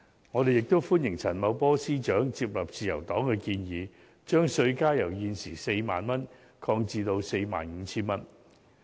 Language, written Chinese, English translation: Cantonese, 我們亦歡迎陳茂波司長接納自由黨的建議，把稅階由現時 40,000 元擴闊至 45,000 元。, We also welcome Financial Secretary Paul CHANs adoption of the proposal put forward by the Liberal Party to widen the tax bands from 40,000 to 45,000